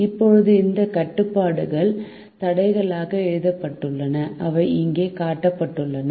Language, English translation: Tamil, now these restriction are written as constrains and they are shown here